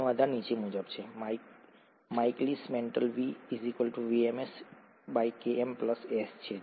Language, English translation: Gujarati, The basis is as follows; the Michaelis Menton is V equals to VmS by Km plus S